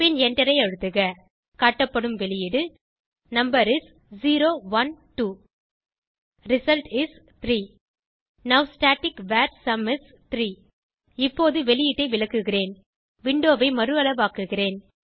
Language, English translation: Tamil, Press Enter The output is displayed as, Number is: 0, 1, 2 Result is: 3 Now static var sum is 3 Now I will explain the output: Let me resize the window